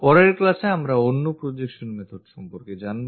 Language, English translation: Bengali, In the next class, we will learn more about other projection methods